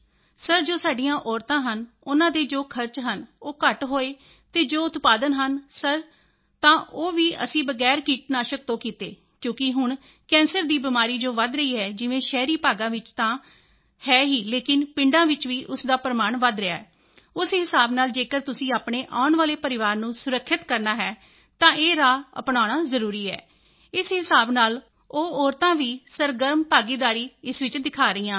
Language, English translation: Punjabi, Sir, the expenses incurred by our women were less and the products are there, sir, after getting that solution, we did it without pests… because now the evidence of cancer is increasing in urban areas… yes, it is there, but the evidence of it is increasing in our villages too, so accordingly, if you want to protect your future family, then it is necessary to adopt this path